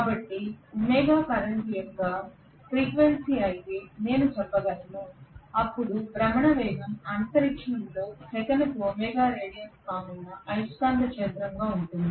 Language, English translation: Telugu, So I can say if omega is the frequency of the current then the rotating speed is going to be of the magnetic field that is going to be omega radiance per second in space